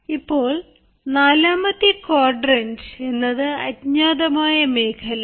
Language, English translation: Malayalam, now quadrant four is the area which is the unknown self